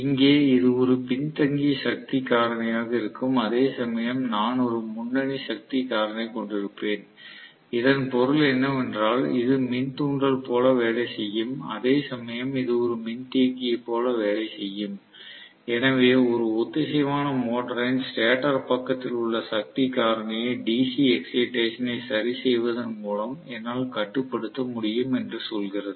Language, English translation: Tamil, So, which means I am going to have this work as an inductor, whereas here, I am going to make this work as a capacitor which actually tells me that I will be able to control the power factor on the stator side of a synchronous motor by adjusting the DC excitation